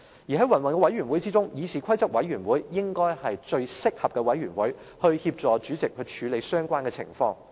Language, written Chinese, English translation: Cantonese, 在云云委員會中，議事規則委員會應該是最適合的委員會，可以協助主席處理相關情況。, Among the many other committees in the legislature CRoP should be the most suitable committee to assist the President in handling such scenarios